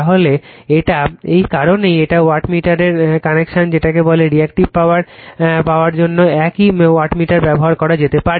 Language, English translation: Bengali, So, this is the that is why this is the connection of the wattmeter for getting your what you call , that your , Reactive Power same wattmeter you can use